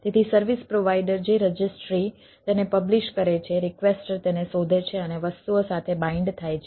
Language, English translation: Gujarati, so the registry, the service provider publish it, requestor finds it and binds with things